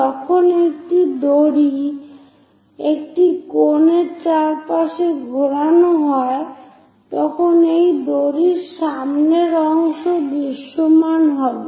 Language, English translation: Bengali, When a rope is winded around a cone, the front part front part of that rope will be visible